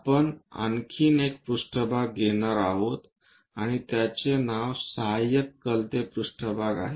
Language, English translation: Marathi, One more plane we are going to take and the name is auxiliary inclined plane